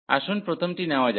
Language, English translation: Bengali, So, let us take the first one